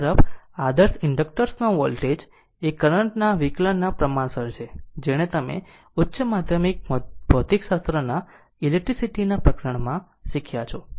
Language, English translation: Gujarati, On the other hand voltage across the ideal inductor is proportional to the derivative of the current this also you have learned from your high secondary physics electricity chapter right